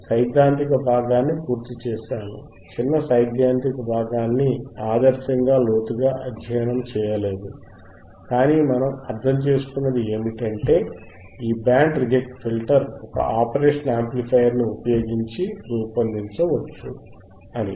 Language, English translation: Telugu, So, we will right now I have covered the theoretical portion once again, small theoretical portion not ideally in depth, but what we understood is we can design this band reject filter right using and operational amplifier